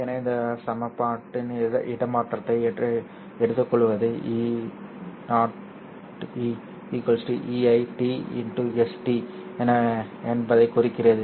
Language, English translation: Tamil, So taking the transpose of this equation implies that E0 transpose will be EI transpose times S transpose